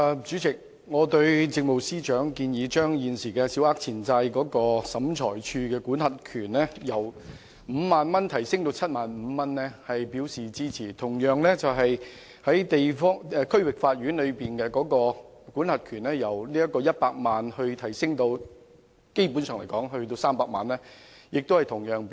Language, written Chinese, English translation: Cantonese, 主席，我對政務司司長建議把現時小額錢債審裁處的民事司法管轄權限，由 50,000 元提高至 75,000 元表示支持，亦同樣支持把區域法院的民事司法管轄權限由100萬元提高至300萬元。, President I support the Chief Secretary for Administrations proposal to increase the limit of the civil jurisdiction of the Small Claims Tribunal SCT from 50,000 to 75,000 and likewise to increase the civil jurisdictional limit of the District Court from 1 million to 3 million